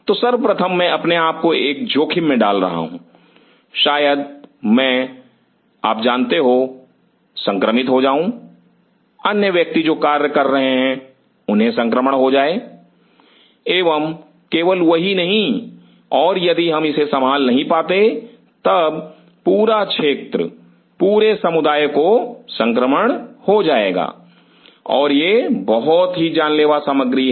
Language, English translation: Hindi, So, first of all I am putting myself into a threat I may you know get the infection the other person who are working they may get an infection and not only that and if we cannot contain it then the whole area the whole community will get an infection and these are deadly stuff